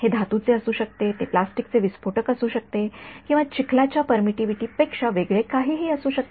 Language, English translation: Marathi, It could be a metal, it could be plastic explosive or whatever is different from the permittivity of mud